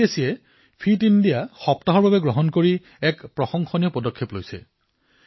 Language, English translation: Assamese, CBSE has taken a commendable initiative of introducing the concept of 'Fit India week'